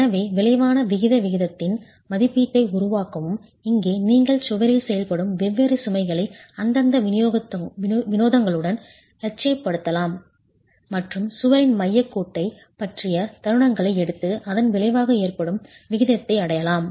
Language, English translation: Tamil, So make an estimate of the resultant eccentricity ratio and here you can basically idealize the different loads acting on the wall with their respective eccentricities and take the moments about the center line of the wall to arrive at the resultant eccentricity